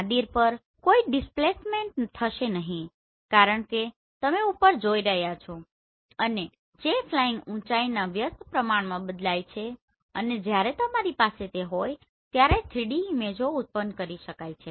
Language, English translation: Gujarati, There will be no displacement at Nadir because you are looking above that varies inversely with the flying height and when you have this you can always generate 3D images